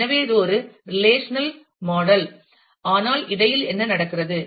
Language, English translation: Tamil, So, it is a relational model, but what happens in between